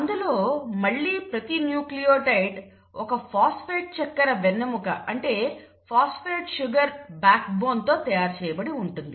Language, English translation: Telugu, Now each nucleotide itself is made up of a phosphate sugar backbone